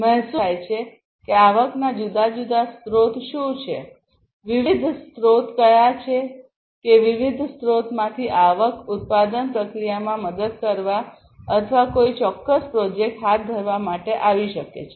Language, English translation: Gujarati, Revenue stream; revenue stream means like what are the different sources of the revenues that are coming in, what are the different sources that from different sources the revenue can come for helping in the manufacturing process or you know undertaking a particular project